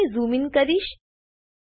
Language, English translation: Gujarati, I will zoom in here